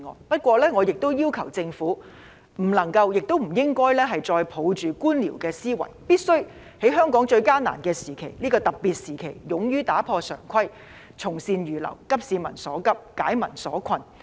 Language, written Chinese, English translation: Cantonese, 不過，我亦要求政府不能夠也不應該再抱着官僚思維，而必須在香港最艱難的時期、這個非常時期勇於打破常規，從善如流，急市民所急，紓解民困。, However in this most difficult and special time of Hong Kong the Government cannot and should not adhere to bureaucratic thinking . It must have the courage to break away from conventions follow good advice readily address the pressing needs of the public and alleviate the hardship faced by the people